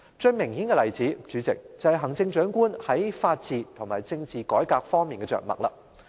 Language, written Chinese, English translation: Cantonese, 最明顯的例子，代理主席，就是行政長官在法治和政治改革方面的着墨。, Deputy President the most obvious example can be found in the Chief Executives address about the rule of law and political reform